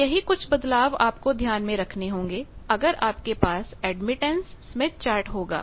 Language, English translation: Hindi, So, these are the only changes you should note if you have admittance smith chart and admittance